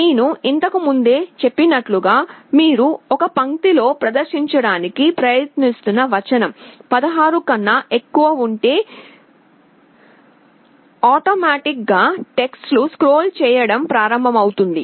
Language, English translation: Telugu, And as I said earlier, if the text you are trying to display on a line is greater than 16 then automatically the text will start to scroll